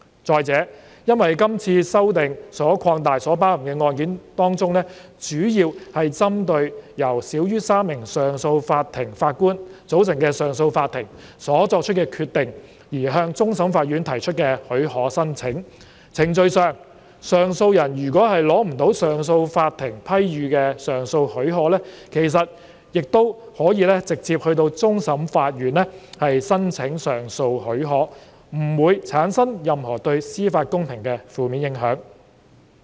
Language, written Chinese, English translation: Cantonese, 再者，因為這次修訂所擴及的案件當中，主要是針對由少於3名上訴法庭法官組成的上訴法庭所作出的決定而向終審法院提出的許可申請，在程序上，上訴人如果未能取得上訴法庭批予的上訴許可，其實亦可直接到終審法院申請上訴許可，不會對司法公平產生任何負面影響。, Moreover since the additional cases covered in the current amendment are mainly applications for leave to CFA against the decisions made by CA consisting of less than three JAs as far as procedure is concerned an appellant who has failed to obtain leave to appeal from CA may apply directly to CFA for leave to appeal without having any negative impact on the fairness of a judicial proceeding